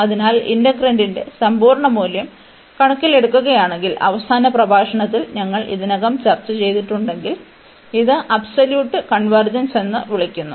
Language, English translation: Malayalam, So, here it is rather easy to see that if we take given the absolute value of the integrand, and we have discussed already in the last lecture, which is called the absolute convergence